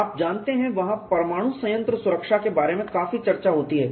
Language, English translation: Hindi, You know there is lot of discussion goes on about nuclear plant safety